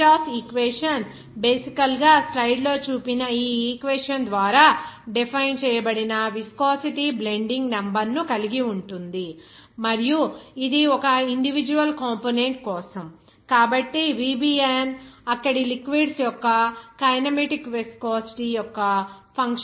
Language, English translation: Telugu, This Refutas equation basically involves that viscosity blending number which is defined by this equation here shown in the slides and this for an individual component, this VBN will be as a function of kinematic viscosity of the liquids there